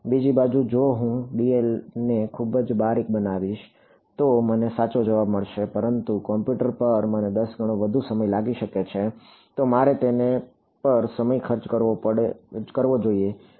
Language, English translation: Gujarati, On the other hand, if I am make dl very very fine, I will get the correct answer, but it may take me 10 times more time on the computer, then I should have spent on it